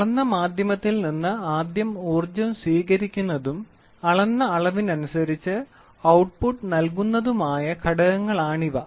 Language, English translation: Malayalam, These are the element that first receives energy from the measured media and produces an output depending in some way of the measured quantity